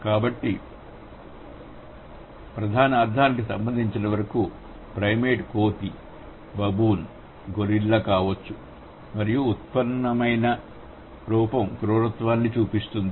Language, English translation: Telugu, So, as for as core meaning is concerned, primate could be a ape, baboon gorilla and the derived form is, it indicates or it symbolizes brutishness